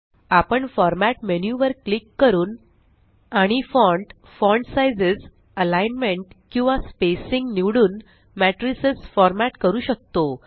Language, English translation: Marathi, Now, we can format matrices by clicking on the Format menu and choosing the font, font sizes, alignment or the spacing